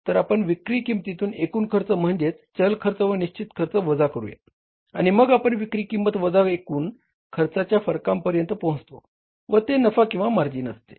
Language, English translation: Marathi, We take the selling price minus total cost variable in the fixed cost and then we arrive at the difference of the selling price minus the total cost is the profit or the margin